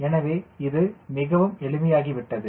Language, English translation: Tamil, so this becomes very simple